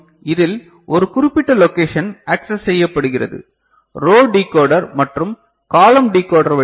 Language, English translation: Tamil, In this, a particular location is accessed, particular location is accessed through a row decoder and a column decoder ok